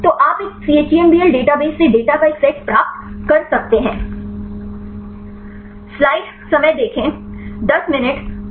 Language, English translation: Hindi, So, you can get a set of data from a chembl database